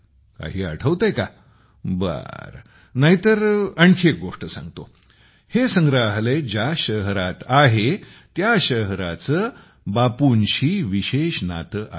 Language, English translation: Marathi, Let me tell you one more thing here the city in which it is located has a special connection with Bapu